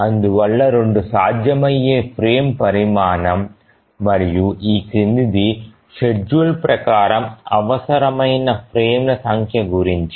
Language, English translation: Telugu, So 2 is a possible frame size but what about the number of frames that are required by the schedule